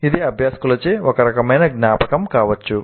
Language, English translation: Telugu, It can be some kind of a recollection by the learners